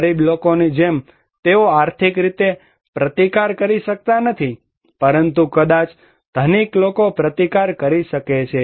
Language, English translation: Gujarati, Like poor people, they cannot resist financially, but maybe rich people can resist